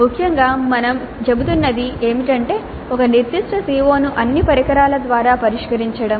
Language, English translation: Telugu, Essentially what we are saying is that a particular CO is addressed by which all instruments